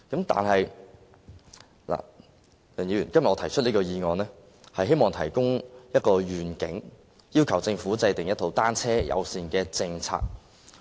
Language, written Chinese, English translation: Cantonese, 但是，我今天提出這議案，是希望提出一個遠景，要求政府制訂一套單車友善政策。, However today I have proposed this motion in the hope of suggesting a vision and requesting the Government to formulate a bicycle - friendly policy